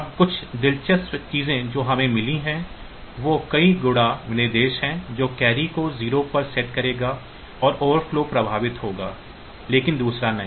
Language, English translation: Hindi, Now, some of the interesting things that we have got is multiply instruction that will set the carry to 0 and the overflow is affected, but not the other one